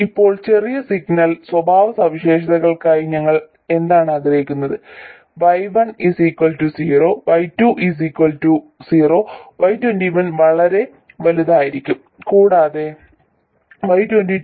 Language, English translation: Malayalam, Now what did we want for the small signal characteristics, Y11 equal to 0, Y12 equal to 0, Y21 to be very large, and Y222 to be also 0